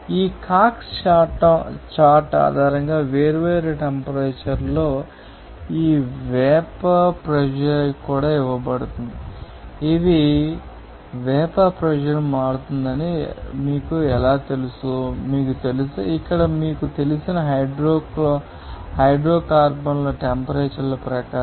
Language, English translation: Telugu, These are also are given these vapor pressure at different temperatures based on this Cox chart how these you know that vapor pressure will be changing, you know, according to the temperature for the different you know hydrocarbons there